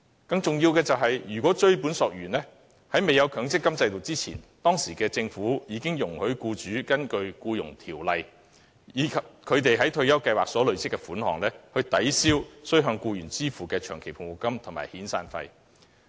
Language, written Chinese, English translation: Cantonese, 更重要的是，追本溯源，在未有強積金制度之前，當時的政府已容許僱主根據《僱傭條例》，以他們在退休計劃所累積的供款，抵銷須向僱員支付的長期服務金及遣散費。, More importantly prior to the implementation of the MPF System employers were already allowed by the then Government to under the Employment Ordinance use their accrued contributions made under retirement schemes to offset long service and severance payments payable to their employees